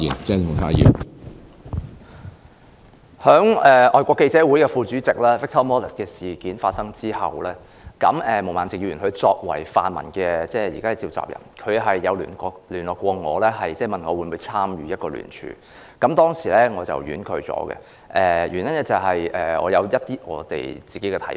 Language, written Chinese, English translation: Cantonese, 在香港外國記者會副主席 Victor MALLET 的事件發生後，毛孟靜議員作為泛民現時的召集人，曾聯絡我，問我會否參與聯署，我當時婉拒了，原因是我有自己的一些看法。, Upon the occurrence of the incident of Victor MALLET Vice President of the Foreign Correspondents Club Hong Kong FCC Ms Claudia MO the incumbent coordinator of the pan - democrats contacted me and asked if I would sign a petition . I politely refused because I have my own views on the matter